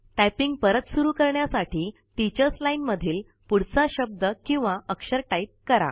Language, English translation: Marathi, To resume typing, type the next character or word, displayed in the Teachers line